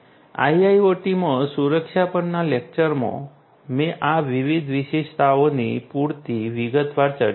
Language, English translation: Gujarati, In the lecture on security in IIoT I discussed these different features in adequate detail